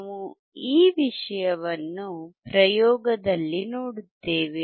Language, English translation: Kannada, We will see this thing in the experiment